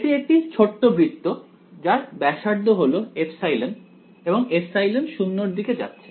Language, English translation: Bengali, It is a very small circle; the radius of which is epsilon and epsilon is tending to 0